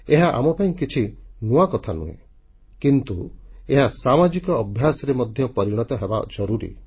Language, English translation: Odia, This is nothing new for us, but it is important to convert it into a social character